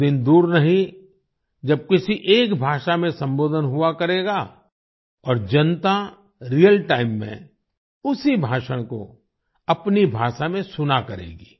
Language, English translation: Hindi, The day is not far when an address will be delivered in one language and the public will listen to the same speech in their own language in real time